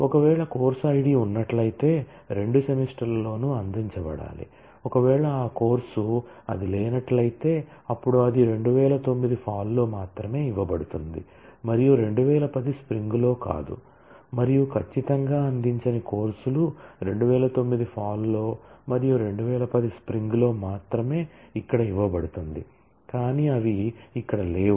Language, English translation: Telugu, If it is, if the course Id is present, then that course must have been offered in both the semesters if it is not present, then it is offered only in fall 2009, and not in spring 2010 and certainly the courses that were not offered in fall 2009, and only offered in spring 2010 will feature here, but they do not exist here